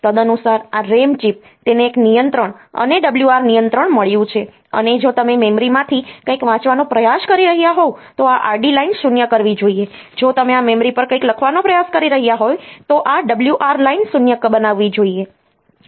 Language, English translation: Gujarati, Accordingly, this ram chip so, it has got a read bar control and a write bar control if you are trying to read something from the memory then this read bar line should be made 0, if you are trying to write something on to this memory, then this write bar line should be made 0